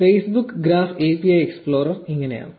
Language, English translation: Malayalam, So, this is how the Facebook graph API explorer looks like